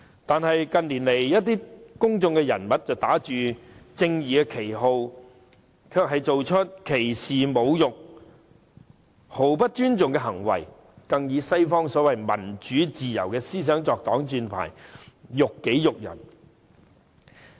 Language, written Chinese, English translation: Cantonese, 但是，近年來一些公眾人物打着正義的旗號，卻做出一些歧視、侮辱和毫不尊重他人的行為，更以西方的所謂民主自由思想作擋箭牌，辱己辱人。, However in recent years some public figures have done certain acts of discrimination humiliation and total disrespect to others under the banner of justice and they have even disgraced themselves and others by hiding behind the western ideas of so - called democracy and freedom